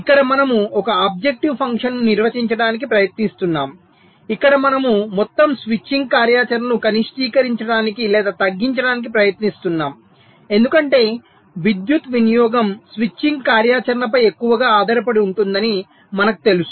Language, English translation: Telugu, so here we are trying to define an objective function where we are minimizing or trying to minimize the total switching activity, because we know that the power consumption is greatly dependent on the switching activity